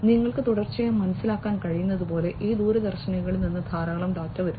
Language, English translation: Malayalam, And so as you can understand continuously in the, so much of data are coming from these telescopes